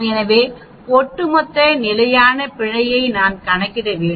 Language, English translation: Tamil, So, I need to calculate the overall standard error understood